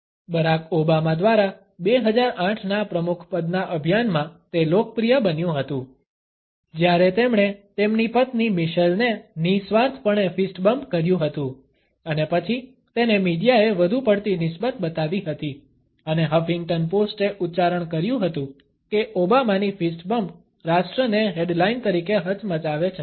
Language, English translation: Gujarati, It was popularized in the 2008 presidential campaign by Barack Obama, when he nonchalantly fist bumped his wife Michelle and then it was taken up by the media and the Huffington post had exclaimed that Obama’s fist bump rocks the nation as a headline